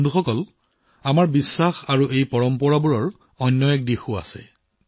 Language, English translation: Assamese, Friends, there is yet another facet to this faith and these traditions of ours